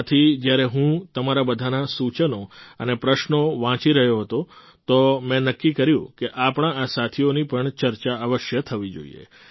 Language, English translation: Gujarati, Therefore, when I was reading your suggestions and queries, I decided that these friends engaged in such services should also be discussed